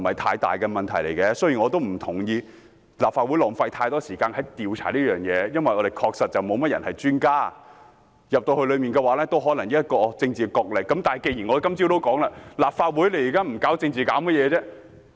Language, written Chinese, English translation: Cantonese, 雖然我不同意立法會在調查方面浪費太多時間，因為立法會議員中確實沒有這方面的專家，調查委員會可能只是政治角力場，但正如大家今天早上所說，立法會現在不搞政治還可以搞甚麼？, I disagree that the Council should waste too much time on the investigation since there is no expert in this respect among Members and the investigation committee will most likely turn out to be a political battleground . However as Members have pointed out this morning given the present state of the Council what else can we do other than staging political shows?